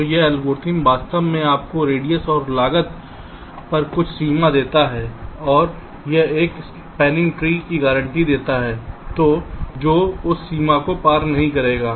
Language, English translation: Hindi, so this algorithm actually gives you some bounds on radius and cost and it guarantees a spanning tree which will not cross that bound